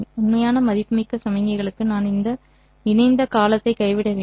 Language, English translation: Tamil, For real valued signals you simply have to drop this conjugate term